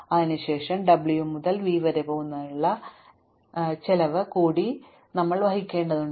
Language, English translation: Malayalam, Then, we have to additionally incur a cost of going from w to v